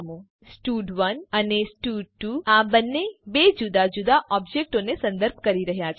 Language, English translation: Gujarati, Here both stud1 and stud2 are referring to two different objects